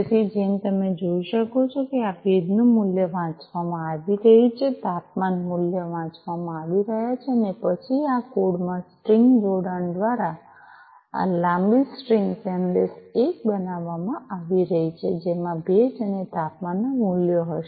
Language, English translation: Gujarati, So, as you can see this humidity value is being read, the temperature value is being read, and then through string concatenation in this code this long string msg 1 is being built, which will have the concatenated humidity and temperature values